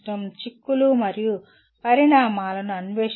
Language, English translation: Telugu, Exploring implications and consequences